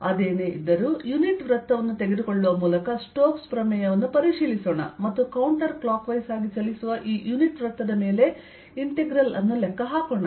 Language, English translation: Kannada, none the less, let us check stokes theorem by taking a unit circle and calculate the integral over this unit circle, going counter clockwise